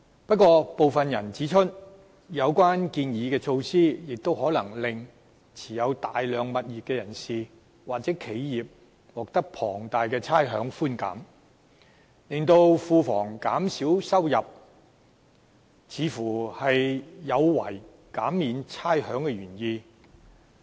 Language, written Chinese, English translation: Cantonese, 不過，部分人指出，有關建議的措施亦可能令持有大量物業的人士或企業獲得龐大的差餉寬減，因而令庫房減少收入，似乎有違減免差餉的原意。, However there are comments that the proposed measures may have the effect of providing people or enterprises holding large number of properties with large amounts of rates concession while government revenue has been reduced hence running contrary to the original intent of rates concession